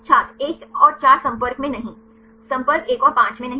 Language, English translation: Hindi, 1and 4 not in contact Not in contact 1 and 5